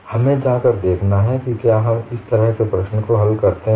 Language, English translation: Hindi, We have to go and look at; do we solve the problem like this